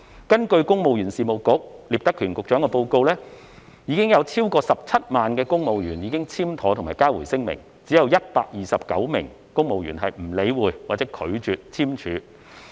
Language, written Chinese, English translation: Cantonese, 根據公務員事務局局長聶德權的報告，超過17萬名公務員已經簽妥和交回聲明，只有129名公務員不理會或拒絕簽署和交回聲明。, According to Secretary for the Civil Service Patrick NIP over 170 000 civil servants have duly signed and returned their declaration; only 129 civil servants have ignored the request or refused to sign and return the declaration